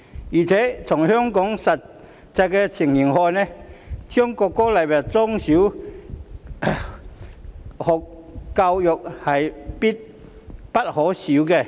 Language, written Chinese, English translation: Cantonese, 而且，從香港的實際情形來看，將國歌納入中小學校教育是必不可少的。, Moreover judging by the actual situations in Hong Kong the inclusion of the national anthem in primary and secondary education is a must